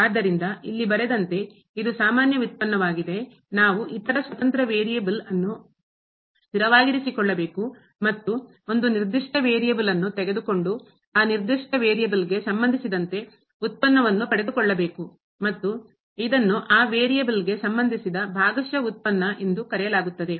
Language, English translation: Kannada, So, as written here it is a usual derivative, when we have to keep other independent variable as variables as constant and taking the derivative of one particular with respect to one particular variable and this is called the partial derivative with respect to that variable